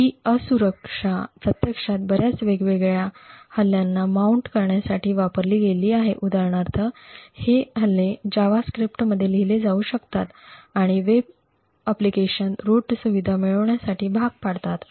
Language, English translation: Marathi, mount several different attacks these attacks for example can be written in JavaScript and force web applications to obtain root privileges